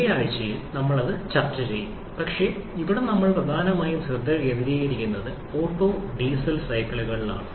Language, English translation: Malayalam, This one we shall be discussing in the corresponding week, but here we are primarily focusing on the Otto and Diesel cycle